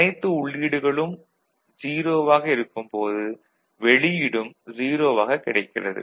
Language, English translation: Tamil, And when both the inputs are 0, the output will be 1 ok